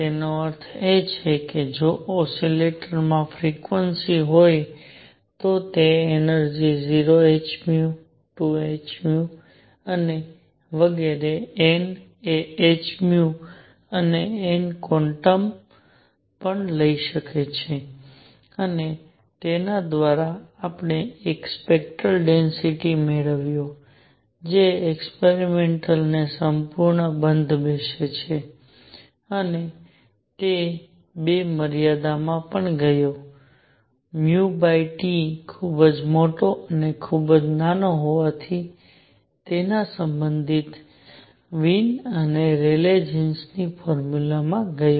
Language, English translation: Gujarati, That means, if an oscillator has frequency nu, it can take energies 0 h nu 2 h nu and so on n that is n quanta of h nu and through this, we obtained a spectral density curve that fit at the experiments perfectly and it also went to in the 2 limits nu over T being very large and very small, it went to the respective Wien’s and Rayleigh Jean’s formula